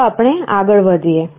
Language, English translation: Gujarati, Let us continue